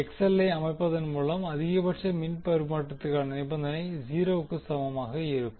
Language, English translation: Tamil, The condition for maximum power transfer will be obtained by setting XL is equal to 0